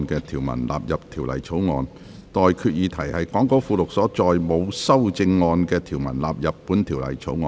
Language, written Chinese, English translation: Cantonese, 我現在向各位提出的待決議題是：講稿附錄所載沒有修正案的條文納入本條例草案。, I now put the question to you and that is That the clauses with no amendment set out in the Appendix to the Script stand part of the Bill